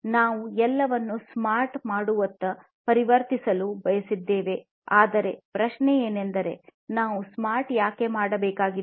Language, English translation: Kannada, We want to transition towards making everything smart by, but the question is that why at all we need to make smart